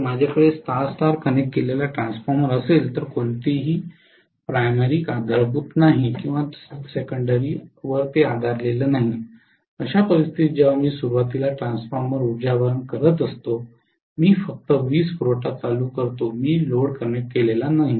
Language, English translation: Marathi, So what is going to happen is if I am having a star star connected transformer, neither the primary is grounded, nor the secondary is grounded, in which case especially when I am initially energizing the transformer I just turn on the power supply I have not connected the load